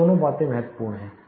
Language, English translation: Hindi, Both these things are crucial